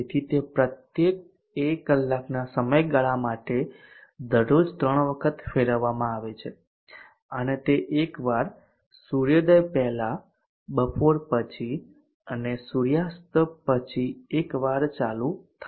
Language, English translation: Gujarati, So it is it is switched on three times daily for one hour duration each and it is switched on once before sunrise, once at noon and once after sunset